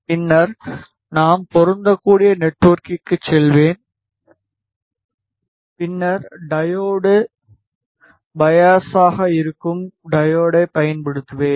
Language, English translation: Tamil, Then, I will go for the matching network and then, I will use the diode which is diode bias ok